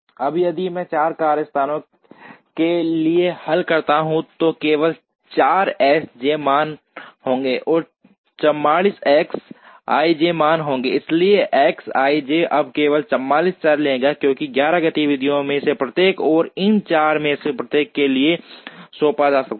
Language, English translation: Hindi, Now, if I solve for 4 workstations there will be only 4 S j values, and there will be 44 X i j values, so X i j will now take only 44 variables, because each of the 11 activities can be assigned to each of these 4 workstations